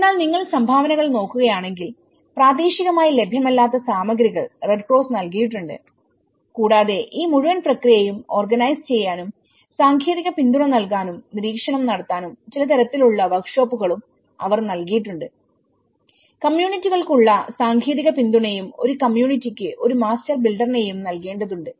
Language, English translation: Malayalam, But then, if you look at the contributions, the Red Cross have provided the materials which are not available locally and they also provided some kind of workshops to organize this whole process and in a technical support and monitoring because they have even they need to provide the technical support to the communities and one master builder per community so for each community they have given one master builder